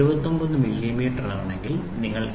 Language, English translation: Malayalam, 00 millimeter you have to make 79